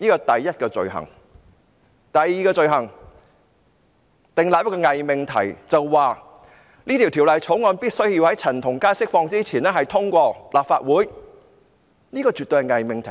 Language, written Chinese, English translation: Cantonese, 第二宗罪，是政府訂立了一個偽命題，指《條例草案》必須在陳同佳獲釋前獲立法會通過，這絕對是偽命題。, Crime number two is that the Government made a false proposition which said that the Bill needed to pass through the Legislative Council before CHAN Tong - kai was released . This is absolutely a false proposition